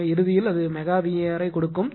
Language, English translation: Tamil, So, ultimately it will give mega bar it will kv